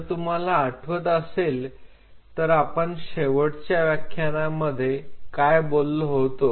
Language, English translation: Marathi, So, if you guys recollect in the last lecture we talked about